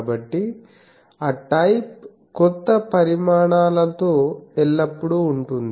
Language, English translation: Telugu, So, that type up always with the new developments